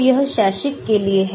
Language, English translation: Hindi, so it is for academic